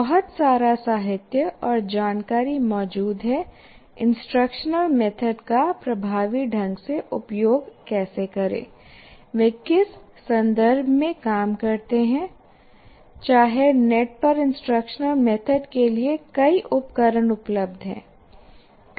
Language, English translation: Hindi, Lot of literature exists about how to effectively utilize this in instructional methods and in what context they work and if there are any tools that are available to do that, all that plenty of information is available on the net